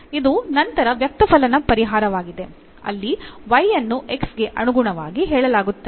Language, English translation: Kannada, So, this is then an explicit solution is given y is a stated in terms of the x